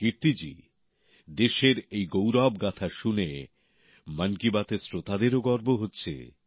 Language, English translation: Bengali, Kirti ji, listening to these notes of glory for the country also fills the listeners of Mann Ki Baat with a sense of pride